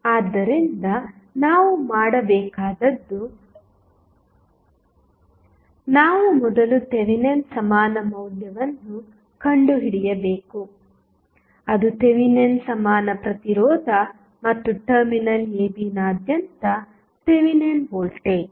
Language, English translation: Kannada, So, what we have to do we have to first find the value of Thevenin equivalent that is Thevenin equivalent resistance as well as Thevenin voltage across the terminal AB